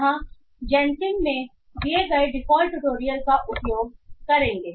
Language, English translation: Hindi, Here we will be using the default tutorial provided in GENCIM